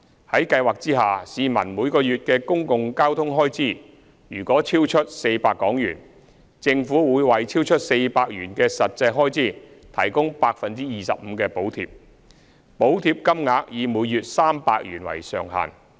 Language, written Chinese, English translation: Cantonese, 在計劃下，市民每月的公共交通開支若超出400元，政府會為超出400元的實際開支提供 25% 的補貼，補貼金額以每月300元為上限。, Under the Scheme commuters with monthly public transport expenses exceeding 400 are eligible for subsidy . The Government will provide subsidy amounting to 25 % of the actual public transport expenses in excess of 400 subject to a maximum of 300 per month